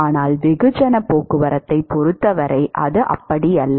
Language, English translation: Tamil, That is not the case when it comes to mass transport